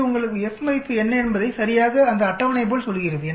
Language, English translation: Tamil, It tells you, what is the F value, exactly it is like that table